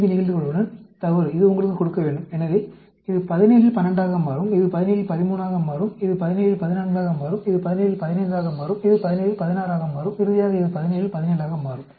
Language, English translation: Tamil, 5, false, that should give you… So, this will become 12 out of 17, and this will become 13 out of 17; this will become 14 out of 17; this will become 15 out of 17; this will become 16 out of 17; and finally, this will become 17 out of 17